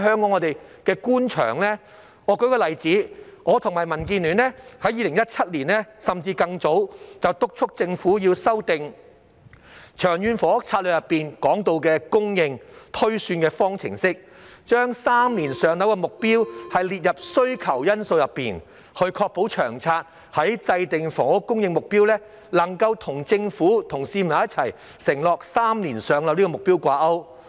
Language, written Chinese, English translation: Cantonese, 我舉一個例子，我和民建聯從2017年甚至更早已督促政府修訂《長遠房屋策略》當中提到供應推算的方程式，把3年"上樓"的目標列入需求因素內，確保《長策》在制訂房屋供應目標時，能夠與政府向市民承諾3年"上樓"這個目標掛鈎。, Let me cite an example . Since 2017 or even earlier the Democratic Alliance for the Betterment and Progress of Hong Kong and I have been urging the Government to revise the formula for housing supply projection in the Long Term Housing Strategy LTHS by including the objective of three - year waiting time for PRH allocation as a demand component so as to ensure that the housing supply target set under LTHS is pegged to the objective of three - year waiting time for PRH allocation as pledged by the Government to the public